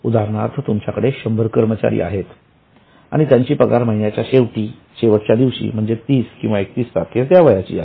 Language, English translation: Marathi, So, for example, if you have got 100 employees, normally the salary should be paid on the last day of the month, say on 30th or 31st